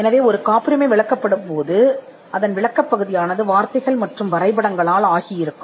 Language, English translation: Tamil, So, the descriptive part, when a patent is described would be in words and figures